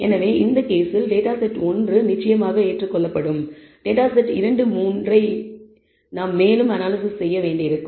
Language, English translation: Tamil, So, in this case data set one certainly will accept data set 2 3 we will have to do further analysis